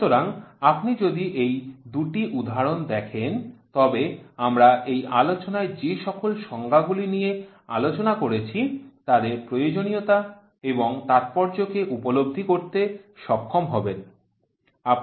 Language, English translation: Bengali, So, if you go through this I these two examples many of the definitions what we discussed in this lecture you will be able to appreciate their necessity and their significance